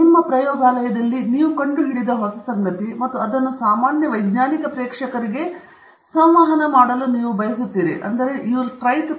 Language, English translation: Kannada, So, it is something new that you have discovered in your lab and that you want to communicate it to the general scientific audience out there okay